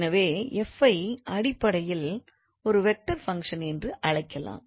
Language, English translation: Tamil, So, we can give a formal definition for a vector function